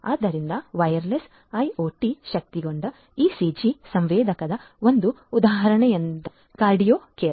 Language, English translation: Kannada, So, one example of a wireless IoT enabled ECG sensor is QardioCore